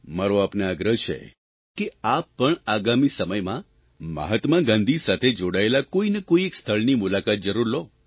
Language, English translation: Gujarati, I sincerely urge you to visit at least one place associated with Mahatma Gandhi in the days to come